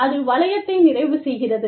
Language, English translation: Tamil, And, that completes the loop